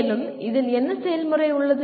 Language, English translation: Tamil, Further, what is the process involved